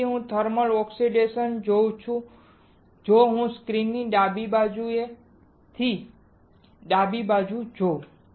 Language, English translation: Gujarati, So, what I see on thermal oxidation if I see at the screen the left side of the screen the left side of the screen